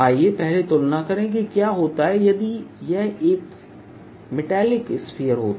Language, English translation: Hindi, let us first compare what happens in the case if this was a metallic sphere